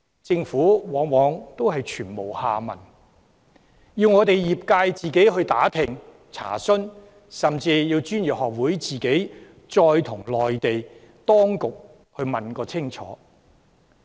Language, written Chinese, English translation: Cantonese, 政府往往全無下文，業界要自行打聽和查詢，專業學會甚至要直接向內地當局問個清楚。, The Government does not come back to us on these . The professional sectors would have to make their own enquiries and the professional institutes even have to ask the Mainland authorities direct about the results of the negotiations